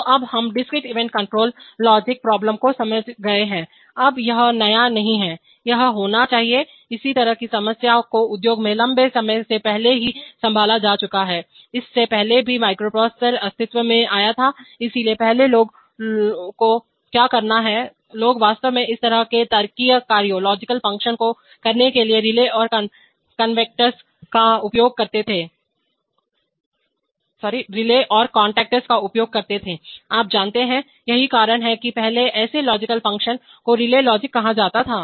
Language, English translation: Hindi, So, now we have perhaps understood the discrete event control problem, now this is not new, it is to be, this kind of problems have been handled in the industry long time, even before the, even before the microprocessor came into existence, so previously what people is to do is that, people is to use relays and contactors to actually realize this kind of logical functions, you know, so that is why previously such logical functions used to be called relay logic